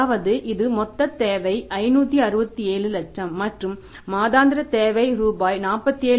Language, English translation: Tamil, This is the total requirement, 567 lakh and the monthly requirement is rupees, 47